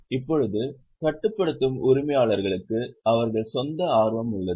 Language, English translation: Tamil, Now, controlling owners have their own interest